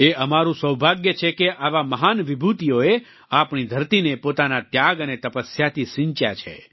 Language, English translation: Gujarati, It is our good fortune that such great personalities have reared the soil of India with their sacrifice and their tapasya